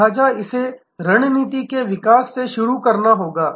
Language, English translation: Hindi, So, it has to start from the strategy development